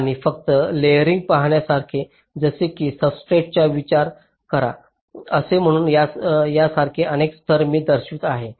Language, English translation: Marathi, and just to look at the layering, like i am showing several layers, like, say, you think of the substrate